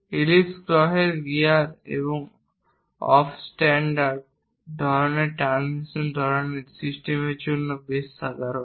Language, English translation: Bengali, Ellipse are quite common for planetary gears and off centred kind of transmission kind of systems